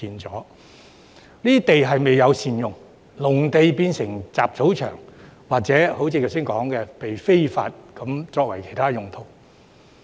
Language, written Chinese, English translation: Cantonese, 這些土地未有善用，農田變成雜草場，甚或如剛才提到被人非法用作其他用途。, Since such farmlands have not been put to good use they have become overgrown with weeds or as I have just mentioned were used for other illegal purposes